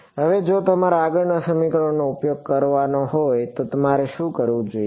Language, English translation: Gujarati, Now, if I wanted to use the next equation what should I do